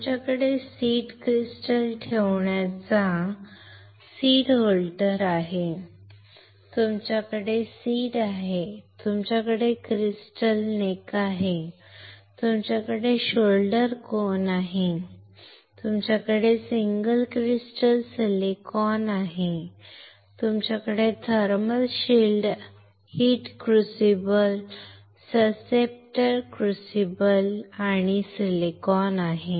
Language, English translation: Marathi, You have seed holder right to hold the seed crystal,you have seed, you have crystal neck, you have shoulder cone, you have single crystal silicon, you have thermal shield heater crucible susceptor crucible and silicon melt